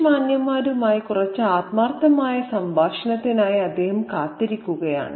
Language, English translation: Malayalam, He has been looking forward to some spirited conversation with a couple of English gentlemen